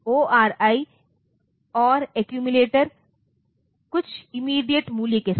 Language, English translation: Hindi, ORI is or accumulator with some immediate value